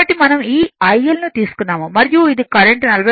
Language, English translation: Telugu, So, we have taken this IL and this is your 43